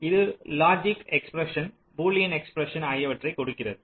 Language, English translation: Tamil, so this gives ah logic expression, boolean expression